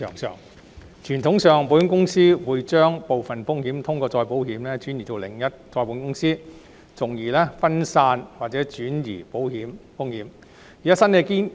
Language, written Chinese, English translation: Cantonese, 傳統上，保險公司會將部分風險通過再保險轉移到另一再保險公司，從而分散或轉移保險風險。, Conventionally an insurer will transfer a portion of its risk to another reinsurer by way of reinsurance thereby diversifying or transferring the insurance risk